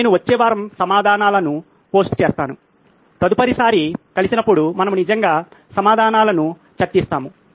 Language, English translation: Telugu, I will post the answers the next week, next time we meet we will actually discuss the answers